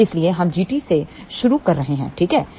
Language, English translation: Hindi, So, that is why we are starting with the G t ok